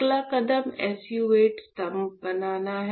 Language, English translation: Hindi, What is the next step is to form SU 8 pillars; the next step is to form SU 8 pillars